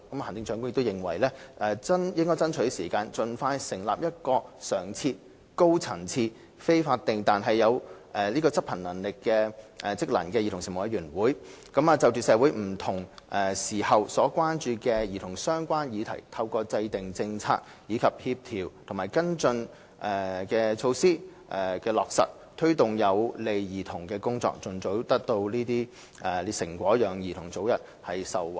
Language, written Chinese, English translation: Cantonese, 行政長官認為應爭取時間，盡快成立一個常設、高層次、非法定但有職能的委員會，就社會不同時候所關注與兒童相關的議題，透過制訂政策及落實協調和跟進措施，推動有利兒童的工作，盡早取得成果，讓兒童早日受惠。, The Chief Executive thinks that we must lose no time in setting up a regular high - level and non - statutory commission vested with the function and duty of formulating policies and implementing coordinating and follow - up measures on children - related issues of social concern at different times so as to take forward those tasks that are beneficial to children achieve fruitful outcomes as soon as possible and in turn benefit children much earlier